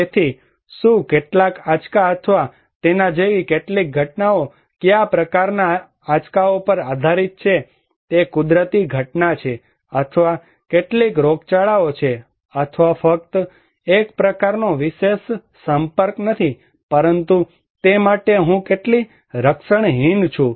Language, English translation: Gujarati, So, exposure to what, some shock or some events like it depends on what kind of shocks, is it natural phenomena or some epidemics or not merely a kind of special exposure but how defenseless like I am for that one